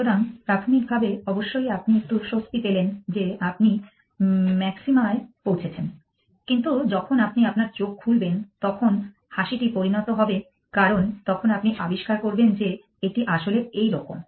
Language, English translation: Bengali, So, initially of course you have a smile on your face saying that you have reach the maxima, but when you open your eyes then the smile turns into a because then you will discovered that actually this